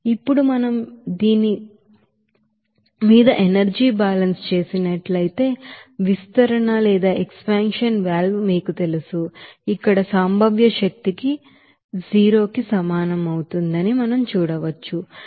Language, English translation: Telugu, Now, if we do the energy balance over this you know expansion valve, we can see that here, potential energy will be equals to 0